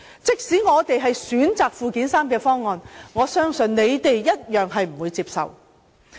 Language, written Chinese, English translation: Cantonese, 即使我們選擇附件三方案，相信反對派亦同樣不會接受。, Even if we decide to list them all into Annex III I believe the opposition will still refuse to accept this approach